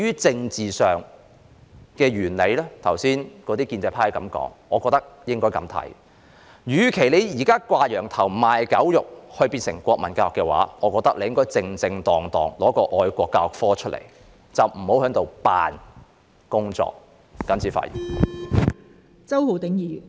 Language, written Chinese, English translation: Cantonese, 建制派議員剛才提過政治上的理由，我認為與其"掛羊頭，賣狗肉"，推行變相的國民教育，不如正正當當推出愛國教育科，不要裝模作樣。, Pro - establishment Members just now mentioned some political reasons but instead of disguising the wicked deeds and implementing national education in a disguised form I think it would be better to properly introduce the subject of patriotic education subject and make no pretence